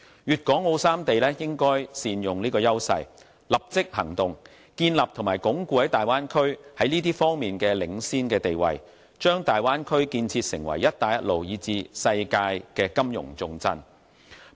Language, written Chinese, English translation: Cantonese, 粵港澳三地應該善用這個優勢，立即行動，建立和鞏固大灣區在這些方面的領先地位，將大灣區建設成為"一帶一路"，以至世界的金融重鎮。, The three places should make good use of this edge and proactively establish or firmly establish the Bay Area as the leader in these areas so as to turn it into a financial capital for the Belt and Road countries or even the world